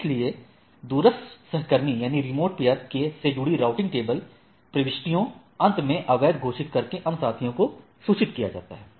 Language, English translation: Hindi, So, the routing table entries associated with the remote peer are mark invalid finally, other peers are notified